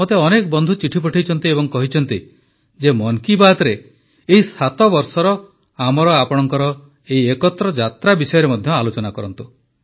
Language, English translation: Odia, Many friends have sent me letters and said that in 'Mann Ki Baat', I should also discuss our mutual journey of 7 years